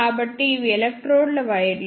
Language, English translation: Telugu, So, these are the wires of the electrodes